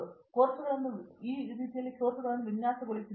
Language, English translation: Kannada, So this is how we have designed our courses